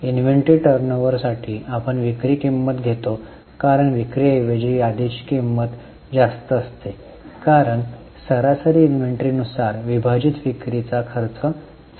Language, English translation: Marathi, For inventory turnover we take cost of sales because the inventory is at cost instead of sales generally better ratio would be cost of sales divided by average inventory